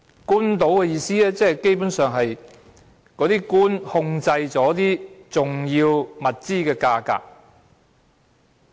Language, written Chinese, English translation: Cantonese, 官倒的意思，基本上，即是官員控制重要物資的價格。, Basically official profiteering means that prices of important resources were controlled by public officials